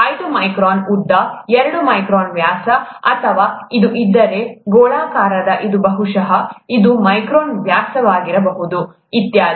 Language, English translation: Kannada, Five micron length, two micron diameter, or if it is spherical it could probably be about five micron diameter, and so on